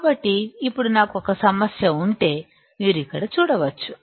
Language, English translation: Telugu, So, now if I have a problem, which you can see here